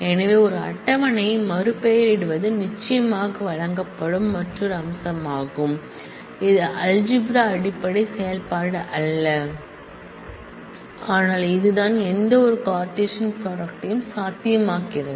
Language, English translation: Tamil, So, renaming a table is another feature which is provided of course, it is not a fundamental operation of the algebra, but this is what makes the any kind of Cartesian product possible